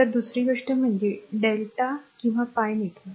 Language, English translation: Marathi, So, another thing is the delta or pi network right